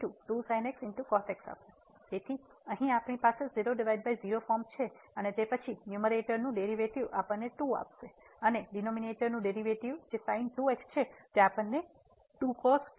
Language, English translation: Gujarati, So, here we have 0 by 0 form again and then so, the derivative of the numerator will give us 2 and the derivative of the denominator which is will give us 2 times the